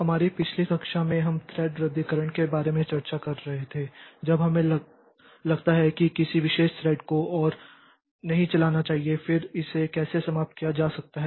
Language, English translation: Hindi, In our last class, we were discussing about thread cancellation that is when we think that a particular thread should not run anymore then how it can be terminated